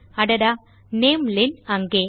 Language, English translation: Tamil, So namelen there...